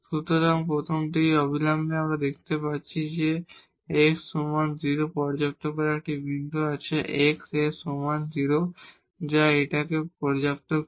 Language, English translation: Bengali, So, from the first immediately we see that x equal to 0 satisfies at least there is a point here x is equal to 0 which satisfies this one